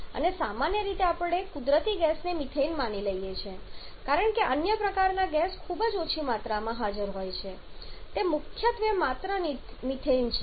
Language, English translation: Gujarati, And commonly we assume natural gas to be methane because other quantities or other kind of gases are present in very small quantities is primarily methane only